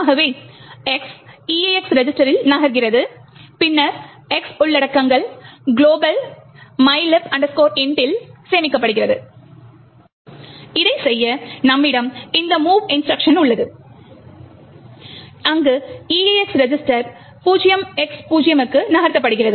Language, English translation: Tamil, So, the argument X’s move to the EAX register then the contents of X should be stored into the global mylib int, in order to do this, we have this mov instruction where EAX register is moved to 0X0